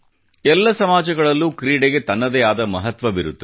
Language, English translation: Kannada, Sports has its own significance in every society